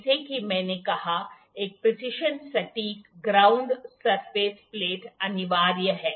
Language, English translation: Hindi, A precision ground surface plate is mandatory as I said